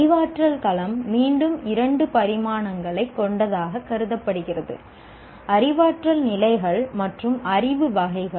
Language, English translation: Tamil, The cognitive domain is considered to have again two dimensions, cognitive levels and knowledge categories